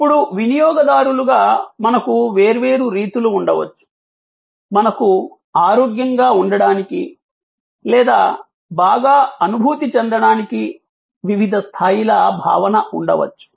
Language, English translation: Telugu, Now, as consumers we may have different modes, we may have different levels of sense of being feeling healthy or feeling well